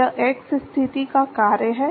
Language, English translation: Hindi, This is the function of x position